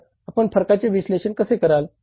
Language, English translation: Marathi, So, how do you analyze the variances